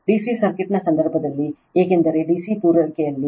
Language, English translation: Kannada, In the case of D C circuit, because in D C supply